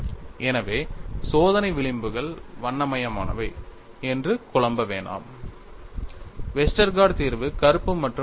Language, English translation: Tamil, So, do not confuse that experimental fringes are colorful Westergaard solution is black and white